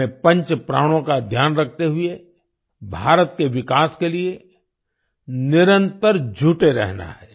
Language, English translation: Hindi, We have to continuously work for the development of India keeping in mind the Panch Pran